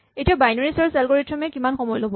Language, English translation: Assamese, So, how long does the binary search algorithm take